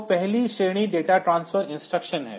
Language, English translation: Hindi, So, the first category is the data transfer instruction